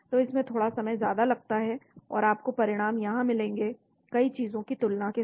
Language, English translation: Hindi, so it takes a little bit long time, and you will get the results here with a comparison of many things